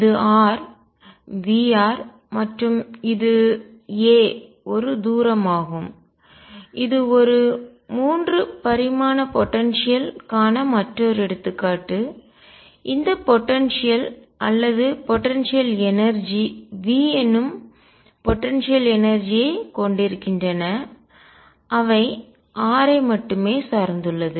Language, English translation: Tamil, This is r, V r and this is a distance a this is another example of a 3 dimensional potentials all these potentials or potential energies have V the potential energy that depends only on r